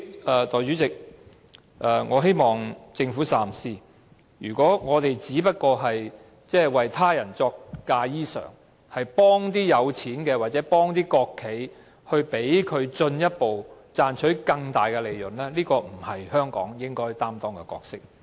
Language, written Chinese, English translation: Cantonese, 代理主席，我希望政府三思，如果我們只是"為他人作嫁衣裳"，幫助富有的人或國企，讓他們賺取更大利潤，這不是香港應該擔當的角色。, Deputy President I hope that the Government will think twice . If we are just making bridal dresses for others helping wealthy people or state - owned enterprises make more profits this is not a role that Hong Kong should play